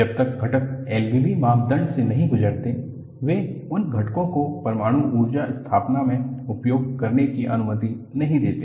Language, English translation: Hindi, Unless the components go through L B B criterion, they do not permit those components to be utilized in nuclear power installation